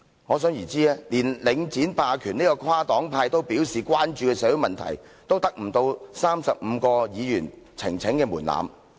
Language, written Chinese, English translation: Cantonese, 可想而知，連領展霸權這個跨黨派都表示關注的社會問題，也達不到35位議員的呈請門檻。, Members can imagine this . We even failed to satisfy the 35 - Member threshold for presenting the petition on the Link hegemony a social issue of cross - party concern